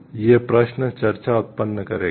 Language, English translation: Hindi, These questions will generate discussions